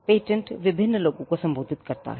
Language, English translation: Hindi, The patent is addressed to a variety of people